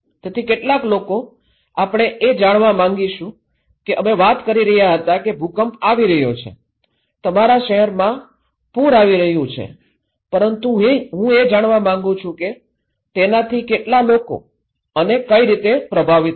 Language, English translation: Gujarati, So, how many people, we will want to know that we were talking that earthquake is coming, flood is coming in your cities but I want to know that how and how many of us will be affected by that